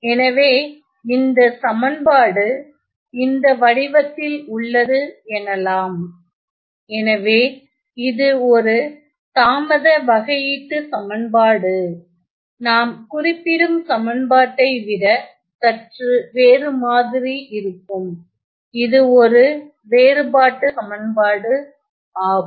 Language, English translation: Tamil, So, this is the delay differential equation, we see that this is slightly different than equation that I am just referring, which is the difference equation